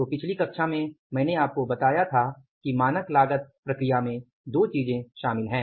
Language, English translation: Hindi, So, in the previous class I told you that there are the two things involved in the standard costing process